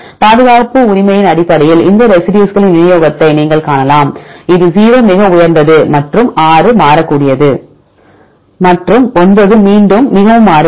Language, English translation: Tamil, So, you can see the distribution of these residues based on conservation right you can see this is 0 highest one and 6 is variable and 9 is again is more variable right